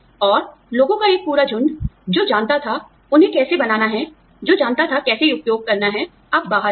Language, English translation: Hindi, And, a whole bunch of people, who knew, how to make those, who knew, how to use those, are now out